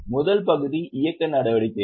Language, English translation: Tamil, The first part is operating activities